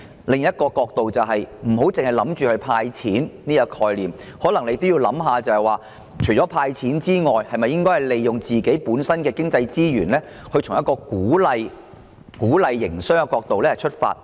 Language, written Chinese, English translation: Cantonese, 另一問題是政府不應單單採用"派錢"這個概念，可能還要思考在"派錢"以外，是否還應利用本港的經濟資源，從鼓勵營商的角度解決問題？, Another issue in question is that the Government should not merely adopt the concept of handing out cash . Rather it should examine at the same time whether apart from handing out cash efforts should be made to make use of the economic resources in Hong Kong to solve the problem from the perspective of encouraging business operation